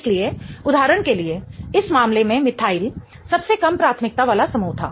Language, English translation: Hindi, So, for example in this case, methyl was the least priority group